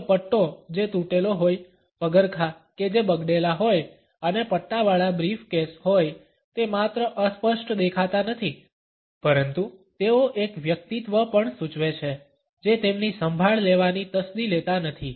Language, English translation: Gujarati, If belt which is frayed, shoes which are scuffed and a banded up briefcase not only look unkempt, but they also suggest a personality which is not bothered to look after them